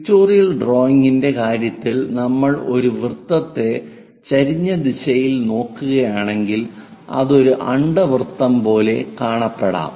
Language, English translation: Malayalam, In the case of pictorial drawing, a circle if we are looking at an inclined direction it might look like an ellipse